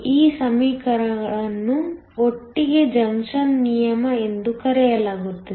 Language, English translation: Kannada, These equations together are called law of junction